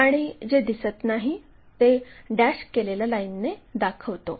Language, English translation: Marathi, Whatever not visible by dashed lines